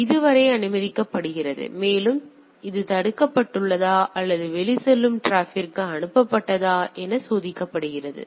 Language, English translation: Tamil, So, it is allowed up to this and it is checked either it is blocked or passed to the outgoing traffic